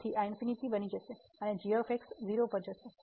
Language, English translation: Gujarati, So, this will become infinity and goes to 0